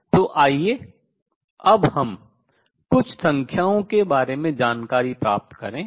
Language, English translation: Hindi, So, now let us get a feeling for some numbers